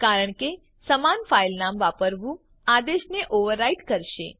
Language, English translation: Gujarati, Because, use of same file name will overwrite the existing file